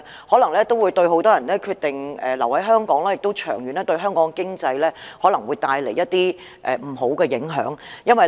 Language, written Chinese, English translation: Cantonese, 可能有很多年輕人決定不留在香港，這的確會對香港的長遠經濟帶來一些不好的影響。, perhaps many young people will decide not to stay in Hong Kong and this will definitely have adverse effects on Hong Kongs long - term economic development